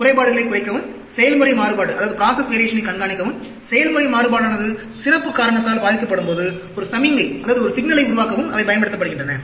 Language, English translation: Tamil, They are used to minimize defects, monitor the process variation, and generate a signal when the process variation is influenced by special cause